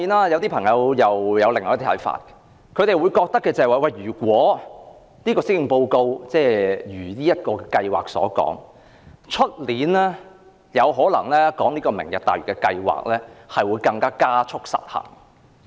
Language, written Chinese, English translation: Cantonese, 有些朋友又有另一些看法，認為如果施政報告按計劃行事，在明年討論"明日大嶼"計劃時，經濟有可能會加速失衡。, Some people have other views saying that if the measures proposed in the Policy Address are implemented as scheduled it is likely that economic imbalance may accelerate when discussion on the Lantau Tomorrow project is held next year